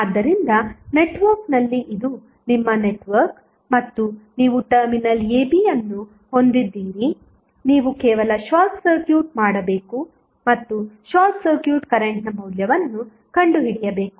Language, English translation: Kannada, So, in the network suppose, this is your network and you have terminal AB like this you have to simply short circuit and find out the value of what is the short circuit current